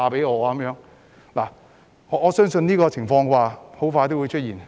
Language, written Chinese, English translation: Cantonese, 我相信這種情況很快會出現。, I believe this kind of situation will soon emerge